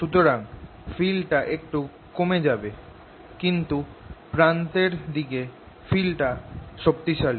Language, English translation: Bengali, so field will decrease a bit, but near the ends its strong